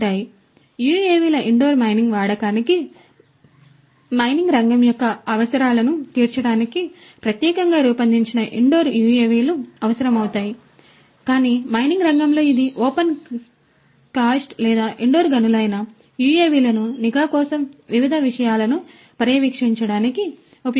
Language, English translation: Telugu, So, indoor mining use of UAVs will require specially designed indoor UAVs for catering to the requirements of the mining sector, but in the mining sector whether it is open cast or indoor mines, the UAVs could be used to monitor you know to monitor different things for surveillance